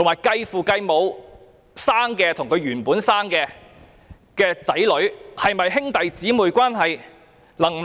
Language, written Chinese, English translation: Cantonese, 繼父繼母的子女與親生子女是否有兄弟姊妹關係？, Are these step children siblings of the natural children and will they be eligible for tax deduction?